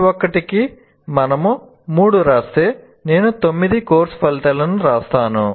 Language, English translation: Telugu, For each one if I write three, I end up writing nine course outcomes